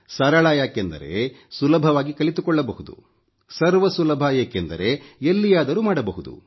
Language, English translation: Kannada, It is simple because it can be easily learned and it is accessible, since it can be done anywhere